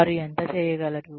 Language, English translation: Telugu, How much they can do